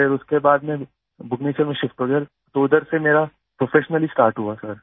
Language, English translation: Hindi, Then after that there was a shift to Bhubaneswar and from there I started professionally sir